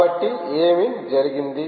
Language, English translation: Telugu, ok, so what happened